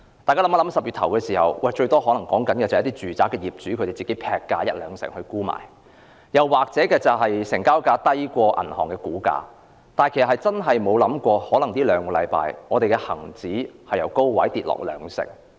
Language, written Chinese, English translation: Cantonese, 在10月初，最多只是一些住宅業主劈價一兩成沽賣，或是成交價低於銀行估價，但我們真的沒有想過在兩星期間，恒生指數會由高位下跌兩成。, In early October some property owners slashed prices by 10 % to 20 % to sell their properties or the selling price was less than the banks valuation . Yet no one would have thought that in two weeks time the Hang Seng index has fallen from the peak by 20 %